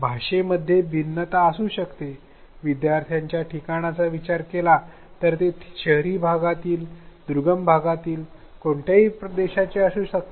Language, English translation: Marathi, There may be differences in language, in location of learners are they in urban areas, remote areas, which country they are from